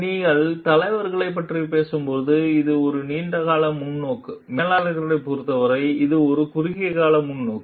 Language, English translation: Tamil, When you are talking of leaders, it is long term perspective; for managers, it is short term perspective